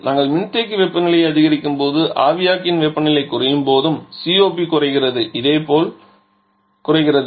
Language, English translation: Tamil, Because we know that as the condenser temperature increases the COPD decreases similarly as the evaporator temperature decreases the COP also decreases